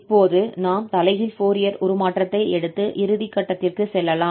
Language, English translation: Tamil, So now we can go for the final step taking this inverse Fourier transform